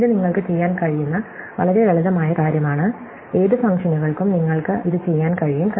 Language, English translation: Malayalam, So, this is a very simple thing that you can do, you can do this for any functions